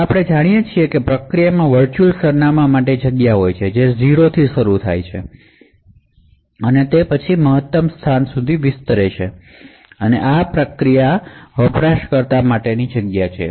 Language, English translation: Gujarati, Now as we know a process comprises of a virtual address space which starts at a 0th location and then extends to a maximum location, so this is the user space of the process